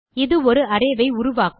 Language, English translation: Tamil, Remember this creates an array